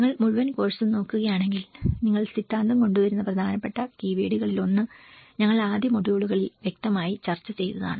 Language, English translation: Malayalam, And if you look at the whole course one of the important keywords which you come up the theory, which we obviously discussed in the first modules